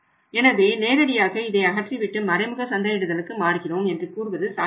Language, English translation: Tamil, So, you cannot straight away say that we will dismantle it and move to the indirect marketing that is also not possible